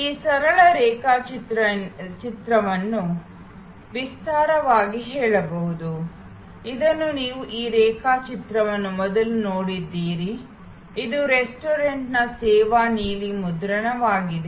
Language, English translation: Kannada, This simple diagram can be elaborated, which you have seen this diagram before, which is the service blue print of a restaurant